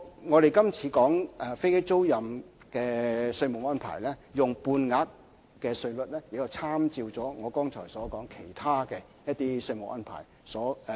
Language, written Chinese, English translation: Cantonese, 我們今次提出飛機租賃的稅務安排，採用半額稅率的做法，是參照了剛才說的其他稅務安排。, In fact the half - rate taxation regime for aircraft leasing activities is proposed by reference to the above taxation arrangements